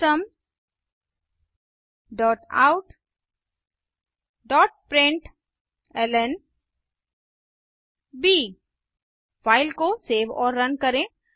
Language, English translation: Hindi, System dot out dot println Save the file and run it